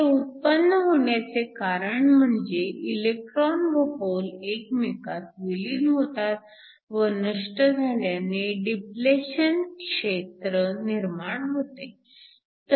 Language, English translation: Marathi, This arises because you have the electrons and the holes recombining and getting annihilated to give you a depletion region